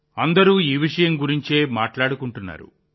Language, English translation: Telugu, Everyone is talking about them